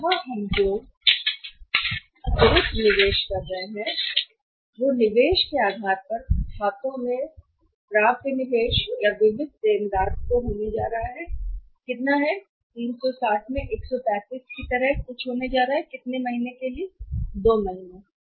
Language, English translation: Hindi, Additional investment we are making here is that on account of the investment in investment in accounts receivables or sundry debtors that is going to be how much that is going to be something like 360 into 135 into the say how many months 2 months 2 by 12